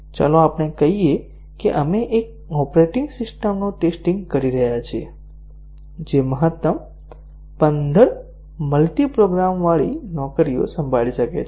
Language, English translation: Gujarati, Let us say we are testing an operating system, which can handle maximum of fifteen multiprogrammed jobs